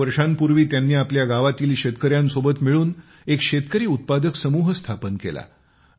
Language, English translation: Marathi, Four years ago, he, along with fellow farmers of his village, formed a Farmer Producer's Organization